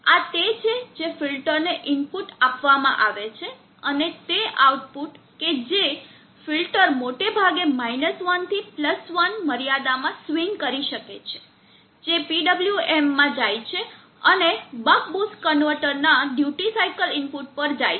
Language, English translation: Gujarati, The output that filter can swing from at most 1 to +1 limits which goes the PWM and goes to the duty cycle input of the buck boost convertor